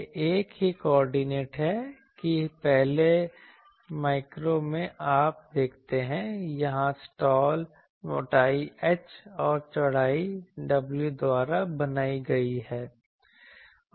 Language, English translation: Hindi, It is the same coordinate that in the first micro where is the previous you see, the slot is here slot is made by it is thickness is h and width is w